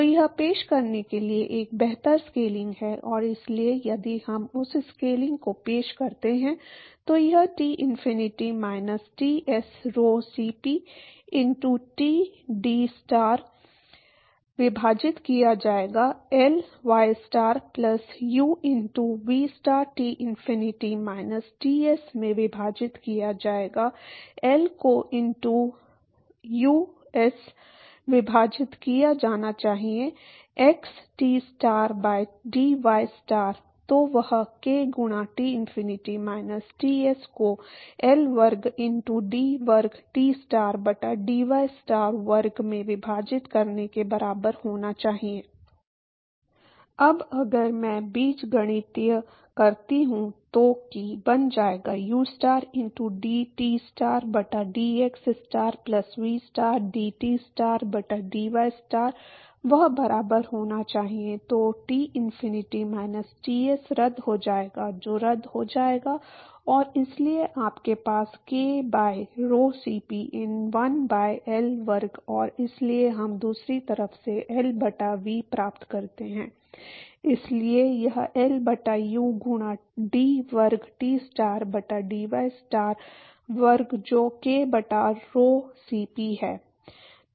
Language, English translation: Hindi, So, that is a better scaling to introduce and so if we introduce that scaling it will be Tinfinity minus Ts rho Cp into dTstar divided by L ystar plus U into vstar Tinfinity minus Ts divided by L into oops should be x, Tstar by dy star, then that should be equal to k into Tinfinity minus Ts divided by L square into d square Tstar by dystar square